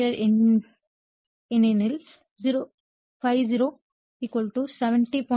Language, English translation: Tamil, 471 Ampere because ∅0 = 70